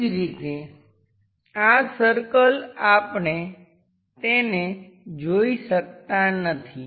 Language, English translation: Gujarati, Similarly this circle we cannot view it